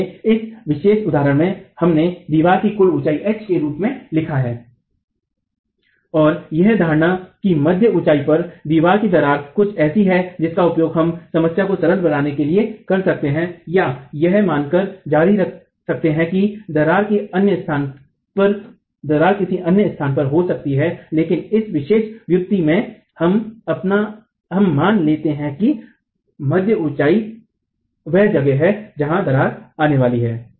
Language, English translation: Hindi, So, in this particular example, we have H as the total height of the wall and this assumption that the wall cracks at mid height is something that we can use to simplify the problem or continue by assuming that the crack can occur at any other location but in this particular derivation let's assume that the mid height is where the crack is going to occur